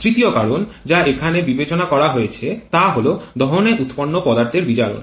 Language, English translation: Bengali, A third factor that was considered is the dissociation of combustion products here